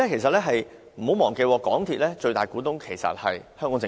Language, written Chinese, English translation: Cantonese, 不要忘記，港鐵公司最大股東是香港政府。, Do not forget that the biggest shareholder of MTRCL is the Hong Kong Government